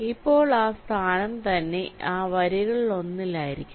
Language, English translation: Malayalam, now that location itself, we have to be ah, ah, within one of those rows